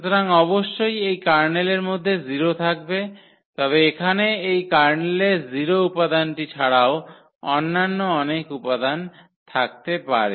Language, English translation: Bengali, So, definitely the 0 will be there in this kernel, but there can be many other elements than the 0 elements in this kernel here